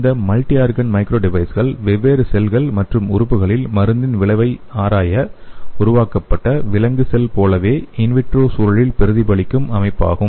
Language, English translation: Tamil, The multiorgan microdevice are the in vitro set up of animal cells to simulate the same physiological environment and study the effect of drug on different cells and organs